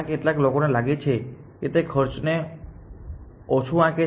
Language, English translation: Gujarati, How many people feel it underestimates a cost